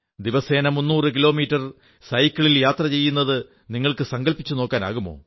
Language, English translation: Malayalam, Just imagine… 300 kms of cycling every day